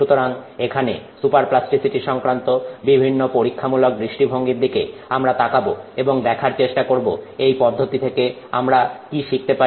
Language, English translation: Bengali, So, we look at experimental aspects here associated with super plasticity and try to see what we can learn from this process